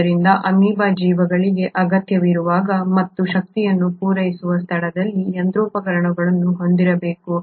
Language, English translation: Kannada, So the amoeba will have to have machinery in place where as and when the organism needs it, the energy is supplied